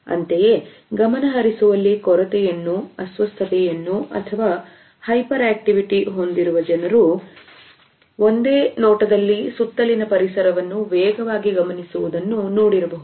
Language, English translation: Kannada, Similarly, people who have attention deficit disorder or hyperactivity are frequently observed to rapidly scan the environment in a single gaze